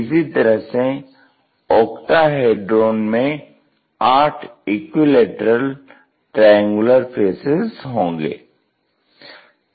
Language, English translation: Hindi, Similarly, the other ones in octahedron we have eight equal equilateral triangular faces